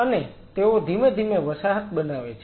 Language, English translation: Gujarati, They are slowly form in a colony